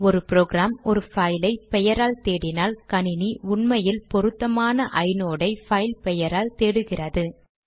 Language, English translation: Tamil, Whenever a program refers to a file by name, the system actually uses the filename to search for the corresponding inode